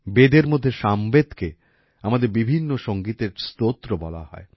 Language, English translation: Bengali, In the Vedas, Samaveda has been called the source of our diverse music